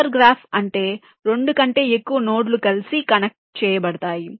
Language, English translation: Telugu, hyper graph means there are more than two nodes which are connected together